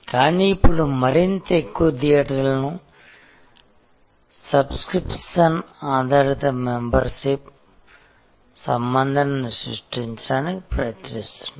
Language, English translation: Telugu, But, now more and more theaters are actually trying to create a subscription based a membership relation